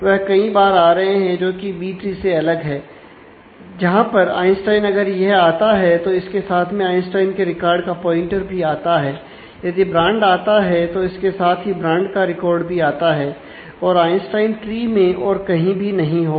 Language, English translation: Hindi, So, there are multiple times there happening this in contrast is a B tree representation where Einstein, if it happens then alongside with it the pointer to the Einstein’s record exists, if brands happen here along with it the brands record exists and Einstein would not happen anywhere else in the tree